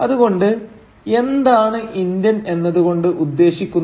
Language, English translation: Malayalam, So, what does Indian mean